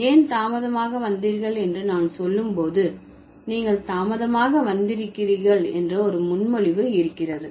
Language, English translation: Tamil, So, when I say why did you arrive late, there is a preposition that there is a presupposition that you have arrived late, right